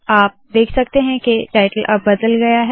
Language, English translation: Hindi, You can see that the title has now changed